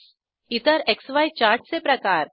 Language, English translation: Marathi, Other XY chart types 3